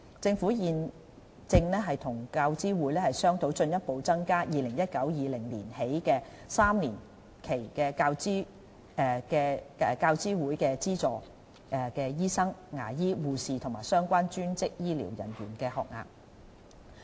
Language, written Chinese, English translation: Cantonese, 政府現正與教資會商討在 2019-2020 學年起的3年期，進一步增加教資會資助醫生、牙醫、護士和相關專職醫療人員的學額。, It is now discussing with UCG a further increase in UGC - funded training places for doctors dentists nurses and relevant allied health professionals in the three - year period of 2019 - 2020